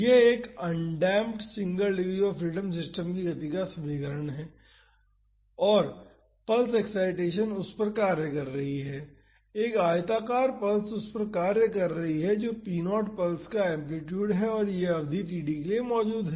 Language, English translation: Hindi, This is the equation of motion of an undamped single degree of freedom system and the pulse excitation is acting on it; a rectangular pulse is acting on it so, p naught is the amplitude of the pulse and it is existing for a duration td